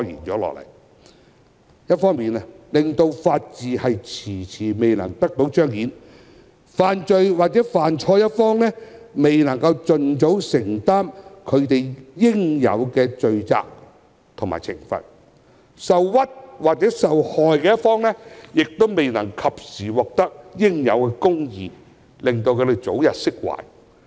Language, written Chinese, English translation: Cantonese, 一方面，這個問題令法治遲遲未能得到彰顯，犯罪或犯錯的一方未能盡早承擔其應有的罪責及懲罰，受屈或受害的一方亦未能及時獲得應有的公義，早日釋懷。, On the one hand this problem has resulting in justice not being done in a timely manner . While lawbreakers or wrongdoers cannot admit their guilt and accept their punishment as soon as possible justice cannot be done in a timely manner regarding the aggrieved or victims who cannot be relieved of their resentment